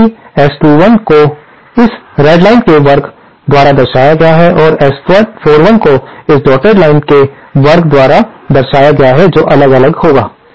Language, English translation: Hindi, However S21 represented by Square represented by this Red Line and S 41 square represented by this dotted line will vary